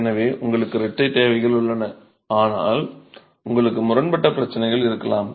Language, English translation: Tamil, So, you have twin requirements but you could have conflicting problems